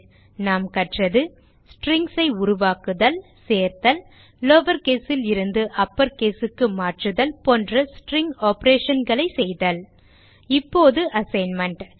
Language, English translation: Tamil, In this tutorial we have learnt how to create strings ,addstrings and perform string operations like converting to lower case and upper case As a assignment for this tutorial